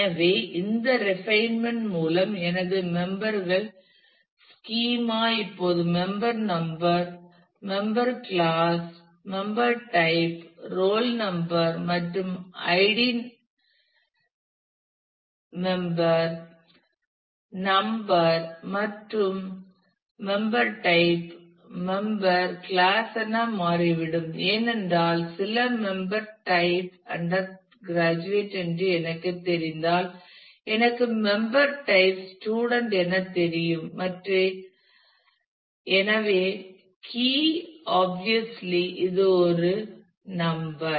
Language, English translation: Tamil, So, with this refinement my members schema now turns out to be member number member class member type roll number and id member number determines everything it member type also determines member class, because if I know some member type is undergraduate I know member class is student and so, on key; obviously, is one number